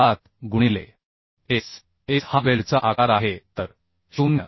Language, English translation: Marathi, 7 into S S is the size of weld so 0